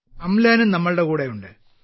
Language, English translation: Malayalam, Amlan is also with us